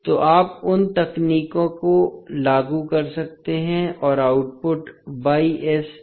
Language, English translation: Hindi, So, you can apply those techniques and find the output y s